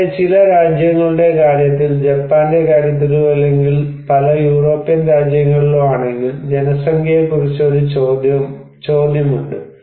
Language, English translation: Malayalam, Also, in case of some countries like in case of Japan or in case of many European countries, there is a question about the populations